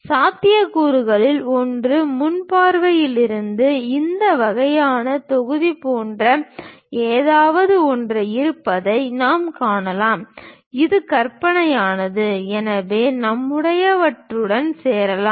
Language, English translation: Tamil, One of the possibility is from frontal view, we can see that there is something like this kind of block, which is imaginary, so we can join along with our this one